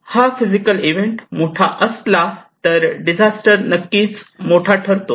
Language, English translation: Marathi, If this physical event is bigger, disaster is also big